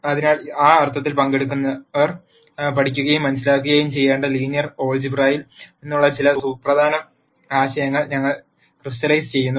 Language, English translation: Malayalam, So, in that sense we have crystallized a few important concepts from linear algebra that the participants should learn and understand